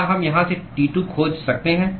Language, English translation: Hindi, Can we find T2 from here